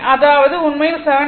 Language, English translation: Tamil, So, that is actually 7